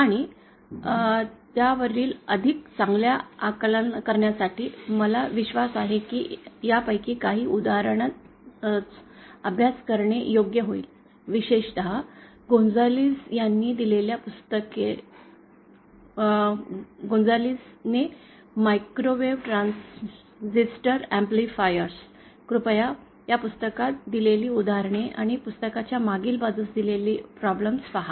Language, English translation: Marathi, And to get an even better grasp on it, I believe it will be correct to practice some of these problems, especially those given the books by Gonzales, microwave transistor amplifiers by Gonzales, please see the examples given in the book and also the problems given at the backside of the book